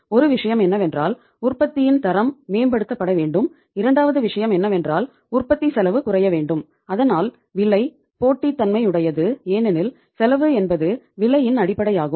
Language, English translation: Tamil, One thing is the quality of the product had to be improved and second thing is that the cost of production has to go down and so that the price is competitive because cost is the basis of price